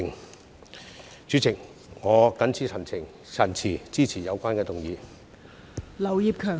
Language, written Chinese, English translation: Cantonese, 代理主席，我謹此陳辭，支持《2021年公職條例草案》。, Deputy President with these remarks I support the Public Offices Bill 2021